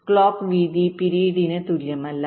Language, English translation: Malayalam, clock width is not equal to the clock period